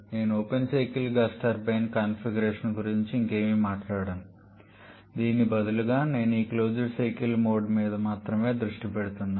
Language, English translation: Telugu, But before that just look at the closed cycle now I am not going to talk any more about the open cycle gas turbine configuration rather I am focusing only on this closed cycle mode